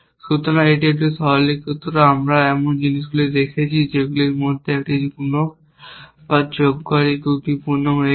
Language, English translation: Bengali, So, this is a simplified, we have looking at things that one of these either the multiplier or the adder has become faulty